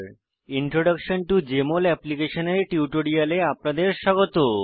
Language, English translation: Bengali, Welcome to this tutorial on Introduction to Jmol Application